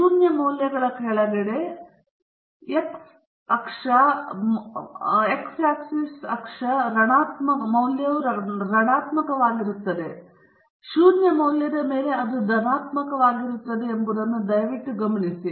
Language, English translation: Kannada, Please note that below the values of zero, the x axis value are negative and above the value of zero it is positive